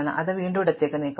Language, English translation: Malayalam, So, I will move it left again